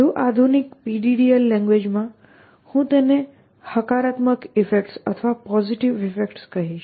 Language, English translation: Gujarati, In the more modern PDDL language, I would call this as positive effects